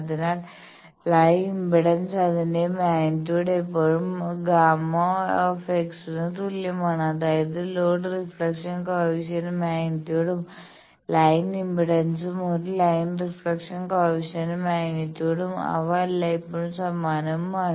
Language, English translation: Malayalam, So, line impedance its magnitude is always equal to gamma l bar; that means, loads reflection coefficients magnitude and line impedance a line reflection coefficients magnitude they are always same